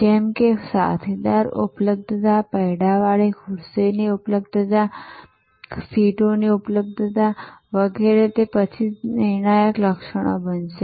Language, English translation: Gujarati, So, like availability of companion, availability of wheel chair, availability of seats, which are availability to the wheelchair etc, those will become, then the determinant attributes